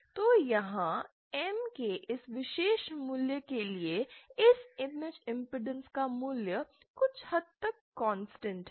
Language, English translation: Hindi, So here, for this particular value of M the value of this image impedance remains somewhat constant